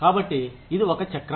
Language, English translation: Telugu, So, it is a cycle